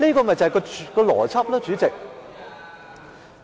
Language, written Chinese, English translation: Cantonese, 這就是邏輯，主席。, This is what we call logic President